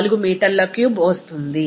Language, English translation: Telugu, 4 meter cube